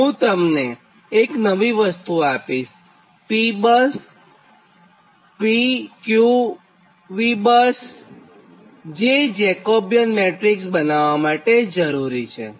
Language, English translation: Gujarati, i will give you one latest thing, that is that p bus and p q v bus, that is, at the end, how to form the jacobian matrix